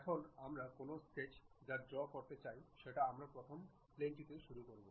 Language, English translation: Bengali, Now, any sketch we would like to draw that we begin it on front plane